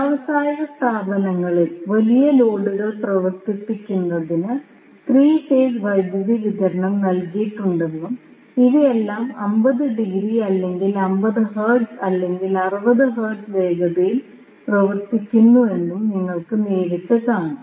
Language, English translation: Malayalam, But in industrial establishment, you will directly see that 3 phase power supply is given to run the big loads and all these operating either at 50 degree or 50 hertz or 60 hertz